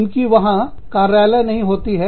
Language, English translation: Hindi, They do not have offices, there